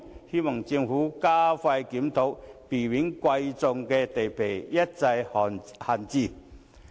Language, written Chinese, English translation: Cantonese, 希望政府加快檢討，避免珍貴土地一再閒置。, I hope that the Government will expedite the review and prevent precious land from being left idle time and again